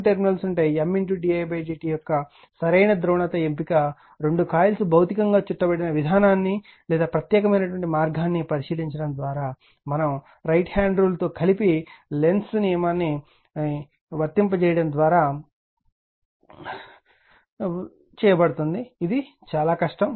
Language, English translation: Telugu, The choice of the correct polarity for M d i by d t is made by examining the orientation or particular way in which both coils are physically wound right and applying Lenzs law in conjunction with the right hand rule this is a difficult one right